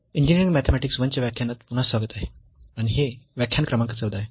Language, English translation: Marathi, So, welcome back to the lectures on Engineering Mathematics I, and this is lecture number 14